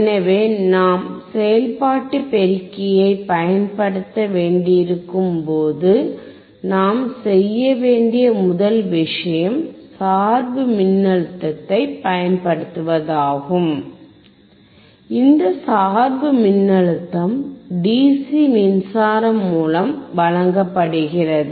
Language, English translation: Tamil, So, when we have to use operational amplifier, the first thing that we have to do is apply the biasing voltage, this biasing voltage is given by the DC power supply